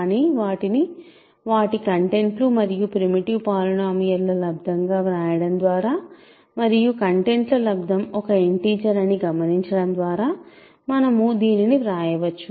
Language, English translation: Telugu, But by writing them as product of their contents and primitive polynomials and observing that the product of the contents is an integer, we can write this